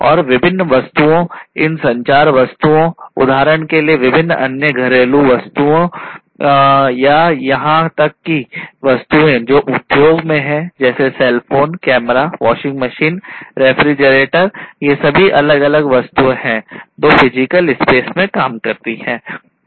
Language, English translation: Hindi, And different objects these communication objects for example or different other household objects or even the objects that are in the industries like cell phone, cameras, etcetera you know washing machines, refrigerators